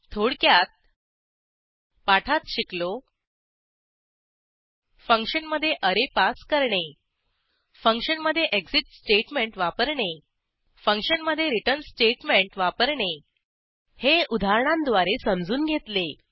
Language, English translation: Marathi, In this tutorial, we learnt To pass an array to a function Use of exit statement in a function Use of return statement in a function With the help of some examples As an assignment